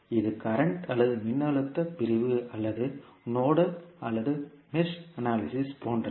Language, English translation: Tamil, So, that is like a current or voltage division or nodal or mesh analysis